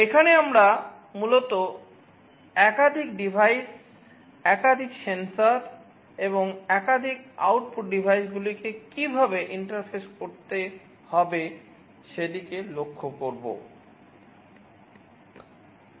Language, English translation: Bengali, Here we shall basically be looking at how to interface multiple devices, multiple sensors and multiple output devices